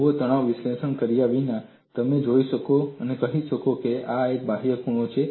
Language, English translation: Gujarati, See, without performing stress analysis, you can go and say now this is an outward corner